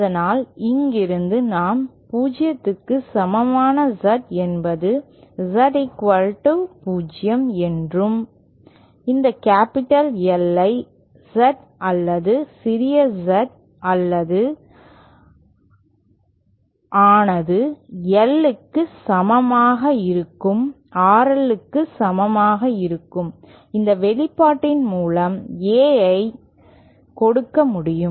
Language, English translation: Tamil, And so from here we see that Z equal to 0 is equal to Z 0 and A can be given by this expression where this capital L is defined as that distance where Z or small z is equal to L becomes equal to RL